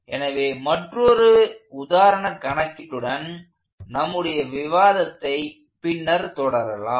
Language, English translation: Tamil, So, we will continue our discussion with another example problem later on